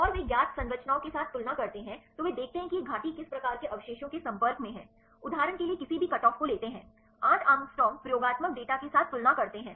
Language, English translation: Hindi, And they compared with the known structures then they see this valine is in contact with whate type of the residues take any cutoff for example, 8 angstrom compare with the experimental data right